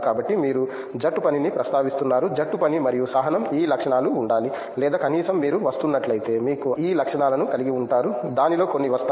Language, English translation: Telugu, So, you are mentioning team work, team work and also patience that these traits should be there, or at least may be if you are coming you will end up getting those traits I mean, some of it will come